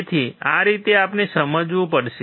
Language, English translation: Gujarati, So, this is how we have to understand